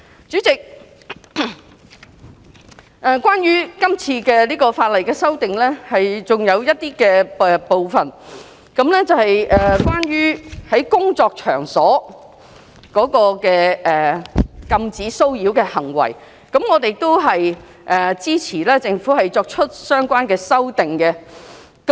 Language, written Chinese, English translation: Cantonese, 主席，這次法例的修訂還有一些部分，是關於在工作場所的禁止騷擾的行為，我們支持政府作出相關的修訂。, President another part of the Bill is about prohibiting harassment in workplace . We support the Government in making the amendment